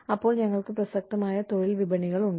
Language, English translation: Malayalam, Then, we have relevant labor markets